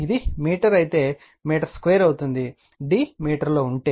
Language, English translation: Telugu, If it is a meter, then it will be your meter square, if d is in meter